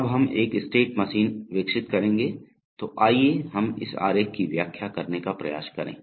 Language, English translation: Hindi, Now we develop a state machine, so let us try to interpret this diagram